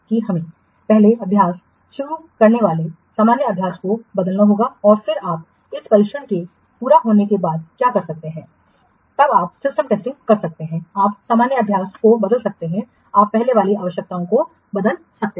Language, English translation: Hindi, What can be done that we have to alter the normal practice that start the training first and then you can work after this training is completed, then you can perform the system testing, you can alter the normal practice, you can reconsider change the precedence requirements